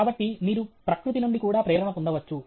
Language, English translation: Telugu, So, you are getting inspired by nature